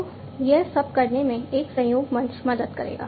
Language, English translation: Hindi, So, this is what a collaboration platform will help in doing